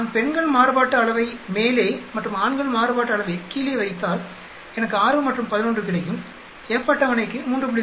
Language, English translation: Tamil, If I put women variance on the top and men variance at the bottom, I will get 6 and 11 for the F table is 3